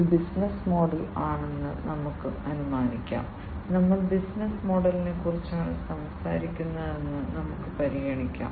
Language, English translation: Malayalam, Let us assume, that this is the business model, let us consider that we are talking about the business model